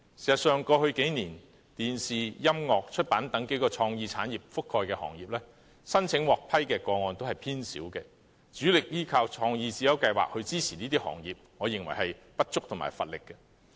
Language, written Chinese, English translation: Cantonese, 事實上，過去數年，電視、音樂和出版等數個創意產業覆蓋的行業，申請獲批的個案都偏少，主力依靠創意智優計劃來支持這些行業，我認為既不足也乏力。, As a matter of fact over the past few years few applications made by such creative industries as the television music and publication industries have been approved . I consider it both insufficient and lacking in strength to rely mainly on CSI to support these industries